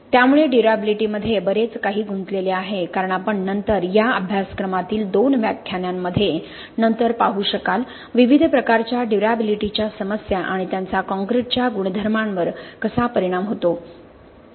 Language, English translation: Marathi, So there is a lot involved in durability as you will see later in a couple of lectures that are in this course later on you will see different types of durability problems and how they affect the concrete properties